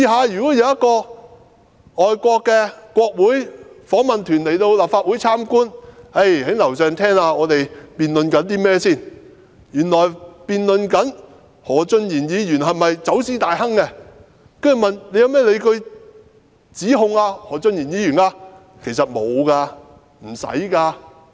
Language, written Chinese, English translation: Cantonese, 如果有外國國會訪問團前來立法會參觀，在樓上聽到我們正在辯論何俊賢議員是否走私大亨，那他們隨後會問我們，有甚麼證據支持對他提出的指控。, If foreign parliamentary delegations come to visit this Council and listen to our debate on whether Mr Steven HO is a smuggling magnate they will subsequently ask us what evidence is available to support the accusation against him